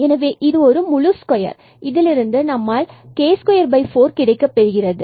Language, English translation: Tamil, So, what we are getting out of this whole square, k square by 4